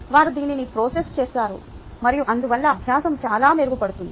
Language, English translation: Telugu, ok, they have processed this and therefore they learning is that much better